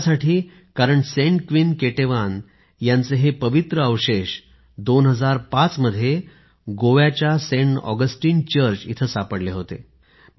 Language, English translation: Marathi, This is because these holy relics of Saint Queen Ketevan were found in 2005 from Saint Augustine Church in Goa